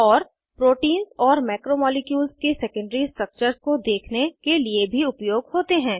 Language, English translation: Hindi, And also * Used to view secondary structures of proteins and macromolecules